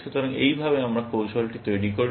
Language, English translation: Bengali, So, that is how, we construct the strategy